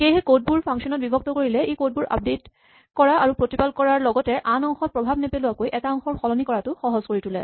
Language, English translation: Assamese, So, breaking up your code into functions makes it easier to update your code and to maintain it, and change parts of it without affecting the rest